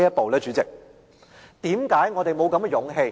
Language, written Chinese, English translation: Cantonese, 代理主席，為何我們沒有這種勇氣？, Deputy President why do they not have the guts to do so?